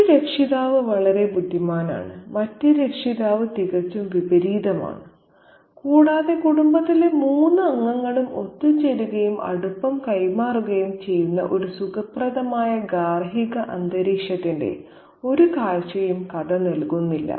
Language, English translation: Malayalam, One parent is very indulgent while the other parent is totally the opposite and the story doesn't give us any glimpse of a cozy domestic atmosphere where the three of the family members come together and exchange intermessies